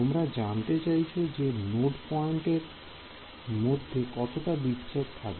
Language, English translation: Bengali, Yeah you are saying you asking, what should be the separation between the node points